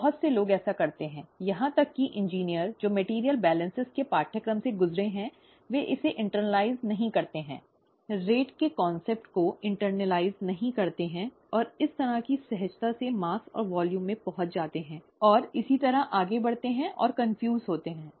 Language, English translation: Hindi, Many people do this; even engineers who have gone through courses in material balances don’t internalize it, don’t internalize the concept of rate and kind of intuitively get into mass and volume and so on so forth, and get confused